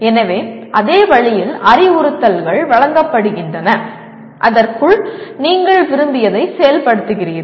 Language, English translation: Tamil, So same way, instructions are given and you implement what you like within that